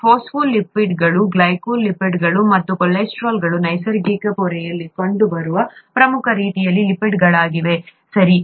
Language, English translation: Kannada, Phospholipids, glycolipids and cholesterol are the major types of lipids that occur in a natural membrane, okay